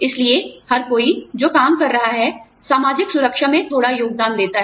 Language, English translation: Hindi, So, everybody, who is working, contributes a little bit towards, the social security